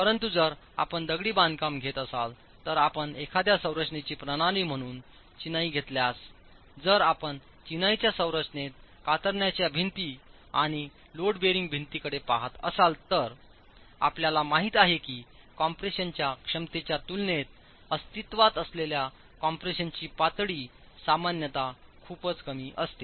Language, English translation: Marathi, But if you take masonry, if you take masonry as a structural system, if you look at shear walls and load bearing walls in a masonry structure, we know that the level of compression that exists is typically very low in comparison to the capacity in compression